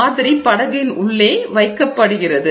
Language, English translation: Tamil, The sample is placed in the boat